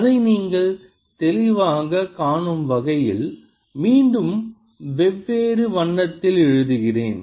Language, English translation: Tamil, ok, let me write it again in different color so that you see it clearly